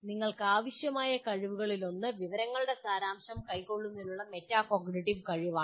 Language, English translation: Malayalam, So one of the skills that you require, it's a metacognitive skill of distilling information